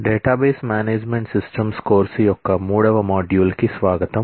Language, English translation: Telugu, Welcome to module 3 of Database Management Systems course